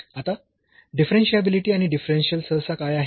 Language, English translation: Marathi, Now, what is differentiability and differential usually